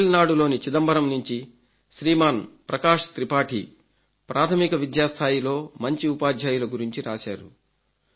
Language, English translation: Telugu, Prakash Tripathi from Chidambaram in Tamil Nadu emphasizes the need for good teachers at primary level